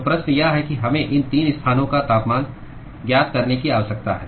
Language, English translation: Hindi, So, the question is we need to find the temperatures of these 3 locations